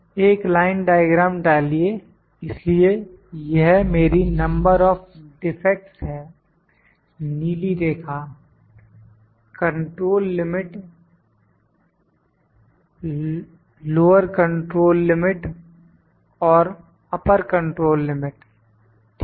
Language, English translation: Hindi, Insert a line diagram, so this is my number of defects blue line, control limit, lower control limit and upper control limit, ok